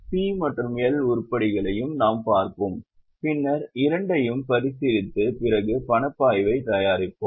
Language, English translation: Tamil, We will also have a look at P&L items and then after considering both we will go for preparation of cash flow